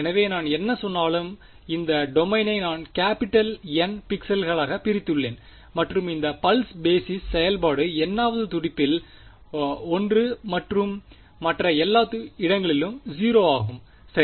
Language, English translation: Tamil, So, whatever I said I have divided this domain into N capital N pixels and this pulse basis function is 1 in the n th pulse and 0 everywhere else right